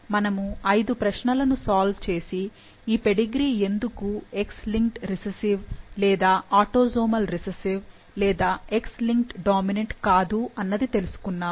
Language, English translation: Telugu, We solved five questions and we ruled out why this pedigree is not X linked recessive or autosomal recessive and X linked dominant and most likely this is autosomal dominant disease